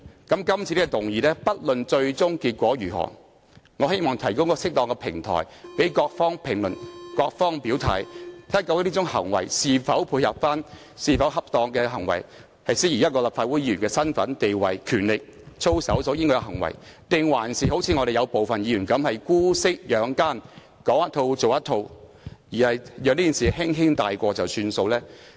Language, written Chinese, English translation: Cantonese, 今次這項議案，不論最終結果如何，我希望也能提供一個適當的平台讓各方評論和表態，看看這種行為是否恰當，以及是否符合立法會議員的身份、地位、權力和操守，還是如我們部分議員般姑息養奸，講一套、做一套，讓這件事輕輕帶過便算。, Regardless of the outcome ultimately I hope the motion proposed this time around will provide an appropriate platform for all parties to make comments and declare their positions so as to see whether such acts are proper and in keeping with the capacity status powers and conduct of Legislative Council Members or connived at by some of us Members who preach one thing but practise quite another brushing aside this incident lightly